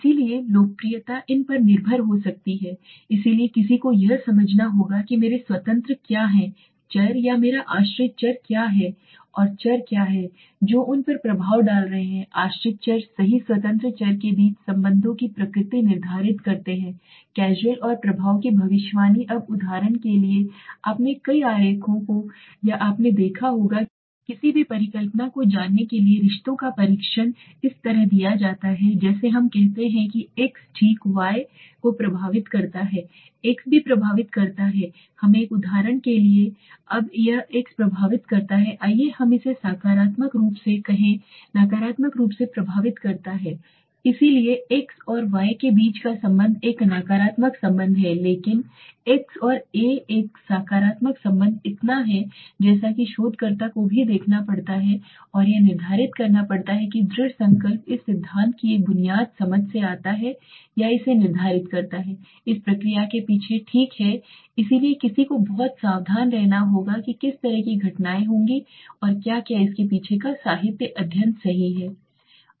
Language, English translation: Hindi, So popularity is may be depends upon these so one has to understand what are my independent variables or what is my dependent variable and what are the variable that are effecting those dependent variables right independent variables determine the nature of the relationship between the casual and the effect predicted now for example you must have seen many diagrams or you know any hypothesis testing the relationships are given like this let us say x affects y okay y and x also affects let us say a for example now this x has affects let us say positively this it has affects negatively so the relationship between x and y is a negative relationship but x and a is a positive relationship so that as also has to be seen the researcher has to determine and this determination comes from or determining this comes from a basic understanding of the theory behind the process okay so one is to be very careful what kind of events would happen and what is the literature study behind it right what is the backing